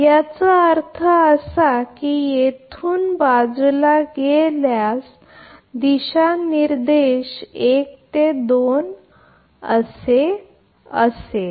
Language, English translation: Marathi, That means, from this side to that side if you take here direction is showing that 1 to 2